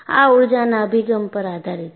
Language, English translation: Gujarati, And this is developed based on energy approach